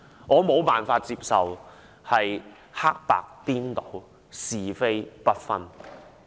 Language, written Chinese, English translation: Cantonese, 我無法接受黑白顛倒，是非不分。, I cannot accept reversing black and white confounding right and wrong